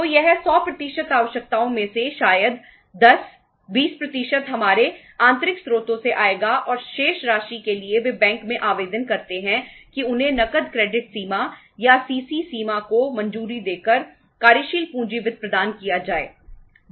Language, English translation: Hindi, So this out of the 100% requirements, maybe 10, 20% will come from our internal sources and remaining they apply to the bank that they should be provided the working capital finance by sanctioning a cash credit limit or the CC limit